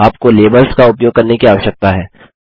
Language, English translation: Hindi, You need to use the labels